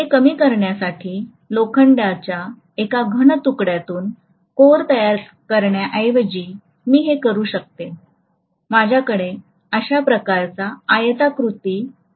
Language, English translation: Marathi, To minimize this, what I can do is rather than making this core just out of a solid piece of iron, I can just have a rectangular piece like this